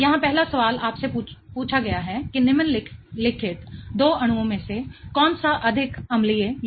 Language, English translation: Hindi, The first question here asks you which one of the following two molecules is more acidic